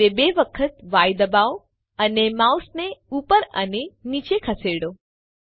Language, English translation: Gujarati, press X twice and move the mouse left to right